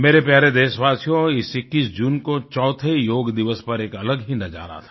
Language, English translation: Hindi, My dear countrymen, this 21st of June, the fourth Yoga Day presented the rarest of sights